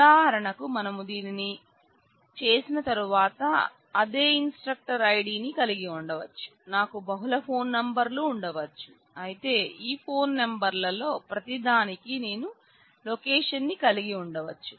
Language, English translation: Telugu, For example, once we do this then not only I can have against the same instructor ID; I can have multiple phone numbers, but I can have location for each one of these phone numbers